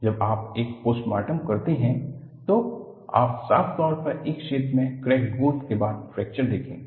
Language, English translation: Hindi, When you do postmortem, you would see distinctly a crack growth region followed by fracture